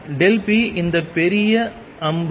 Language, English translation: Tamil, Delta p is this big arrow